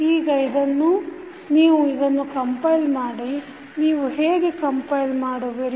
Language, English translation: Kannada, Now, you compile this, how you will compile